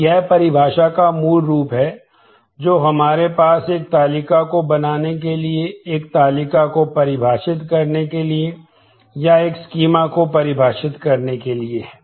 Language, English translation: Hindi, So, this is the basic form of definition that we have for creating a table, defining a table or defining a schema